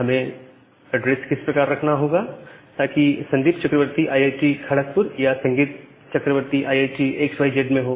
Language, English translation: Hindi, I have to use or address in way that Sandip Chakraborty inside IIT Kharagpur or Sandip Chakraborty inside IIT xyz